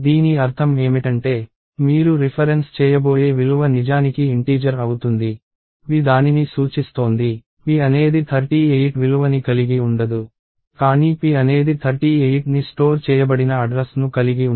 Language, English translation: Telugu, What that means is, the value that is stored that you are going to reference to is actually an integer, p is just pointing to it, p does not contain the value 38, but p contains the address in which 38 is stored